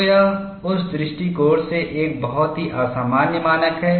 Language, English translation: Hindi, So, it is a very unusual standard, from that point of view